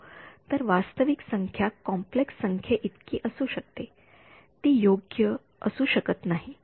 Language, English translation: Marathi, So, how can a real number be equal to complex number cannot be right